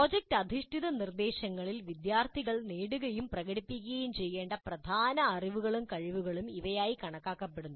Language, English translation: Malayalam, These are considered important knowledge and skills to be acquired and demonstrated by students in project based instruction